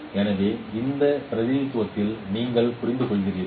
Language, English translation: Tamil, So you understand in this representation